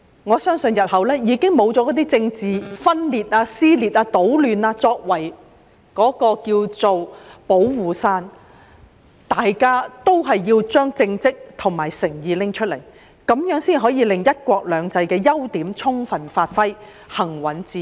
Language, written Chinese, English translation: Cantonese, 我相信日後不會再有政治分裂、撕裂、搗亂作為"保護傘"，大家都要拿出政績和誠意，這樣才可以令"一國兩制"的優點得到充分發揮，行穩致遠。, I believe in the future there will be no more political dissension division or chaos that can be used as a protective shield . All of us will have to show our achievements and sincerity . Only by so doing can we realize the advantages of one country two systems to the fullest extent and enable its long - term and enduring success